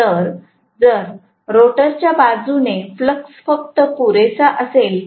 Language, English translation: Marathi, So, if the flux is just sufficient from the rotor side, right